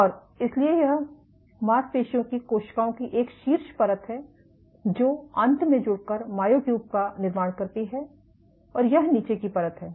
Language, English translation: Hindi, And so, this is a top layer of muscle cells which finally fuse to form myotubes, and this is the bottom layer ok